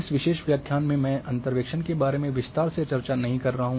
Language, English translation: Hindi, In this particular lecture I am not going to in detail about the interpolation